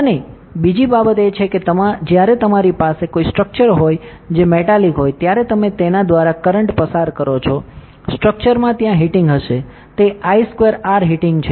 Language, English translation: Gujarati, And another thing is when you have a structure which is metallic you pass current through it because of the non idealities in the structure there will be heating, it is the I square are heating